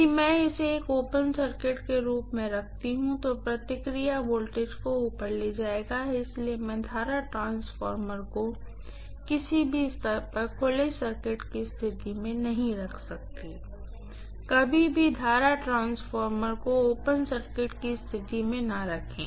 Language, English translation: Hindi, In the process voltage will be stepped up if I keep it as an open circuit, so I cannot keep the current transformer in open circuit condition at any stage, never ever keep the current transformer in open circuit condition